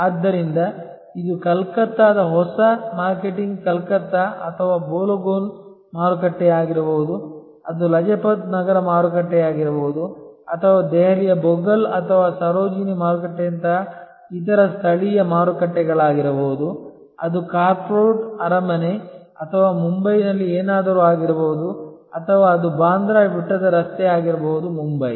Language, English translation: Kannada, So, it may be new marketing Calcutta or Balogun market in Calcutta it can be Lajpat Nagar market or different other local markets like Bogal in Delhi or Sarojini market it will be the Crawford palace or something in Mumbai or it could be the Bandra hill road in Mumbai